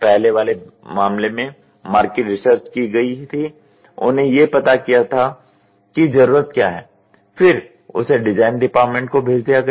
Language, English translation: Hindi, In the earlier case the market research was done, they found out this is the requirement, they gave it to the design department